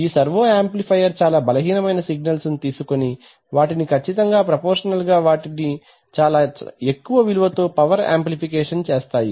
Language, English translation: Telugu, So servo amplifiers will take weak signals and will accurately, exactly, proportionally, multiply them but with lot of power amplification